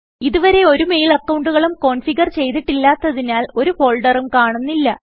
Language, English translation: Malayalam, As we have not configured a mail account yet, this panel will not display any folders now